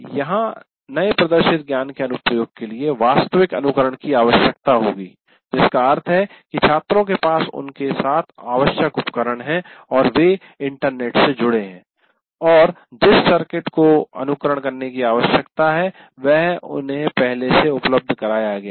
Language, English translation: Hindi, So, here the application of the new demonstrated knowledge will require actual simulation, which means the students have the necessary devices with them and they are connected to the internet and already the circuit that needs to be simulated is already made available to them